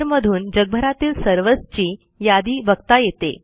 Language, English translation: Marathi, shows a list of servers across the globe